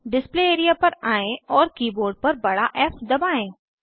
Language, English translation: Hindi, Come to the Display Area and press capital F on the keyboard